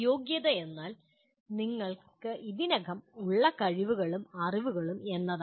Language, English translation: Malayalam, Competency is what the skills and knowledge that you already have